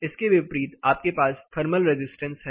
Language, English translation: Hindi, And the reverse you have a thermal resistance